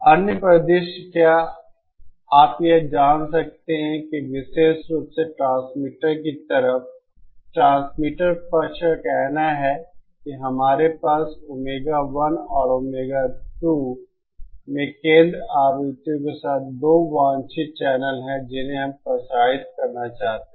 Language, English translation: Hindi, The other scenario could be you know suppose at the especially at the transmitter side, transmitter side say we have 2 desired channels with centre frequencies at omega 1 and omega 2 that we want to transmit